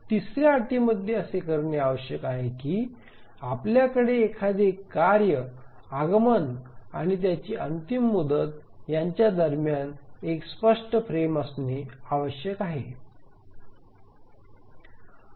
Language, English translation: Marathi, So, the third condition requires that we must have one clear frame existing between the arrival of a task and its deadline